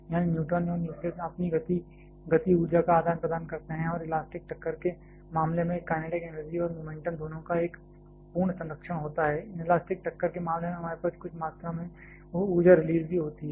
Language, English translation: Hindi, That is neutron and nucleus may exchange their momentum energy and can have a perfect well conservation of both kinetic energy and momentum in case of elastic collision, in case of inelastic collision we have some amount of energy release as well